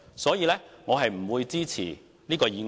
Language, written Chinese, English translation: Cantonese, 所以，我不會支持這項議案。, Therefore I do not support this motion